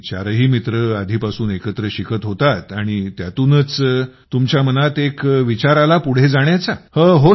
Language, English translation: Marathi, And all four used to study together earlier and from that you got an idea to move forward